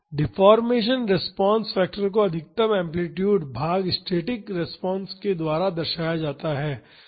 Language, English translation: Hindi, The deformation response factor is the maximum amplitude divided by the static response